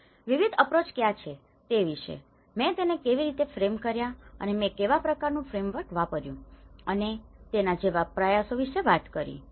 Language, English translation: Gujarati, And what are the various approaches, how I framed it and what kind of framework I worked on things like that